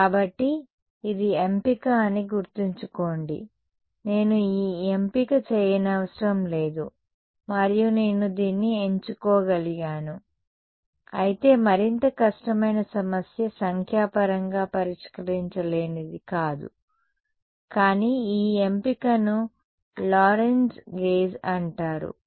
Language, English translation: Telugu, So, this choice remember this was the choice, I need not have made this choice and I could have chosen this although even more difficult problem its not unsolvable numerically I can solve it, but this choice is what is called the Lorentz gauge